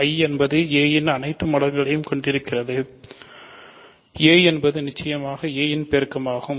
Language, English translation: Tamil, So, I consists of all multiples of small a, small a itself is certainly a multiple of a